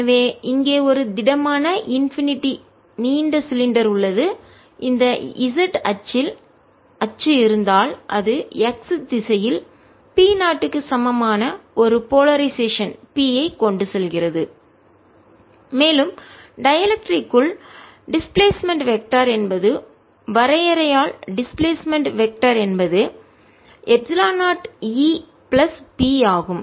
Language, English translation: Tamil, so here's a solid, infinitely long cylinder on if there is axis on the z axis and it carries a polarization p which is equal to p naught in the x direction and the displacement vector inside the dielectric is, by definition, the displacement vector is epsilon zero, e plus p, where e is the electric field